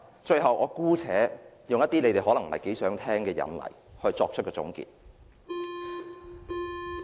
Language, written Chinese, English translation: Cantonese, 最後，我姑且舉一些大家可能不太想聽到的例子來作出總結。, Lastly I would like to cite some examples which everyone may not wish to hear